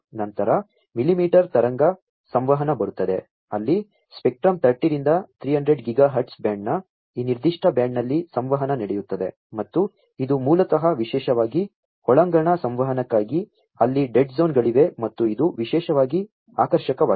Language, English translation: Kannada, Then comes the millimetre wave communication, where the communication happens in this particular band of the spectrum 30 to 300 Giga hertz band and this basically millimetre wave communication offer cellular connectivity in this particular band, and particularly for indoor communication, where there are dead zones and so on this is also particularly attractive